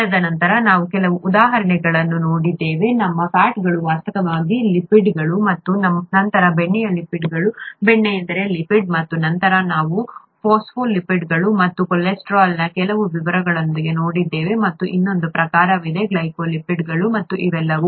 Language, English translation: Kannada, And then we saw a few examples, our fats are actually lipids, and then butter is a lipid, oil is a lipid, and then we looked at some of the details of phospholipids, and cholesterol and there is another type, glycolipids and all these three are commonly found in natural cell membranes